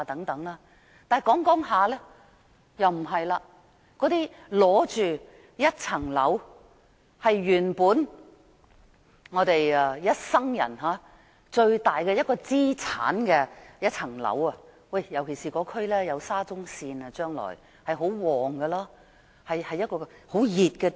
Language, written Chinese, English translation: Cantonese, 那些在重建區擁有一個單位的人，該物業是他們一生最大的資產，尤其是該區將來會有沙中線，會很興旺，是一個熱點。, For people who own a property in the redevelopment area that is the most valuable asset ever acquired in their life . This is particularly true because the district will later be served by the Shatin to Central Link and will become a prosperous hotspot